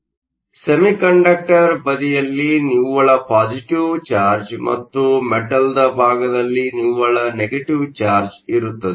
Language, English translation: Kannada, So, there is a net positive charge on the semiconductor side and net negative charge on the metal side